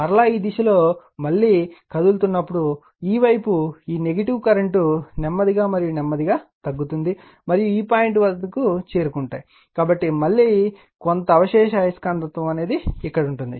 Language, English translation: Telugu, And again further you are moving again in this direction, that again you are you are what you call go with your this negative current this side, you are slowly and slowly you are decreasing and coming to this point, so some residual magnetism again will be here